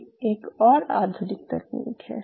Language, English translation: Hindi, This is another modern technique